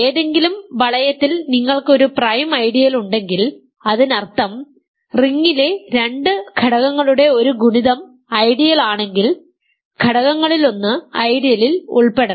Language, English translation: Malayalam, If you have a prime ideal in any ring; that means, if a product of two elements in the ring belongs to the ideal one of the elements must belong to the ideal